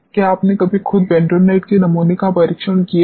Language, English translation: Hindi, Have you ever tested bentonite sample yourself